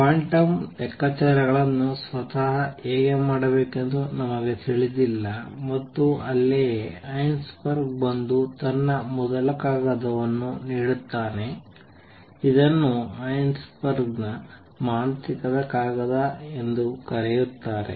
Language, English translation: Kannada, We do not know how to do quantum calculations themselves and that is where Heisenberg’s comes and gives his first paper which has also being called the magical paper of Heisenberg